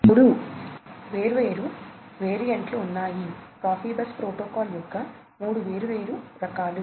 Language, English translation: Telugu, There are three different variants, three different variants of Profibus protocol